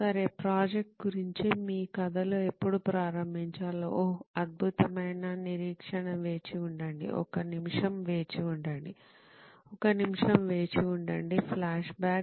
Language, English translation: Telugu, Okay, when to start with your story on what the project is about, oh excellent wait wait wait a minute, wait a minute, FLASHBACK